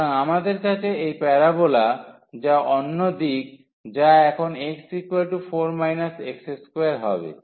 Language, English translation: Bengali, So, we have this parabola which is other direction now y is equal to 4 minus x square